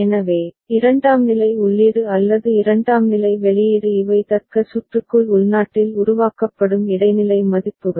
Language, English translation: Tamil, So, secondary input or secondary output these are internally generated intermediate values within the logic circuit